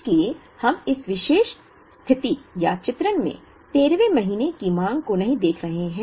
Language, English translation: Hindi, So, we are not looking at the 13th month demand in this particular situation, or illustration